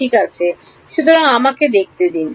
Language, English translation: Bengali, Ok, so let us see